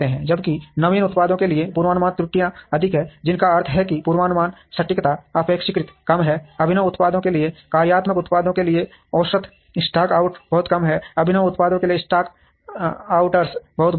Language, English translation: Hindi, Whereas, forecast errors are higher for innovative products, which means the forecast accuracy is relatively lower, for innovative products, average stock out is very less for functional products, stock outs are very large for innovative products